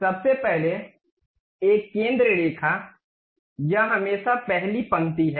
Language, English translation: Hindi, First of all a centre line, this is always be the first line ok